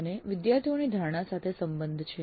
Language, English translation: Gujarati, This is more to do with the perception of the students